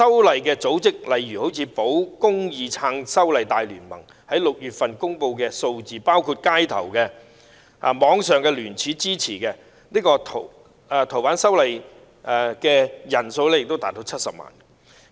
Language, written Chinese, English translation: Cantonese, 例如，根據保公義撐修例大聯盟在6月公布的數字，街頭及網上聯署支持修訂《逃犯條例》的人數亦達到70萬人。, For example according to the statistics published in June by the League for Safeguarding Justice and Supporting the Fugitive Offenders Ordinance Amendments the number of people who put down their signatures in the streets and on the Internet in support of the FOO amendments also reached 700 000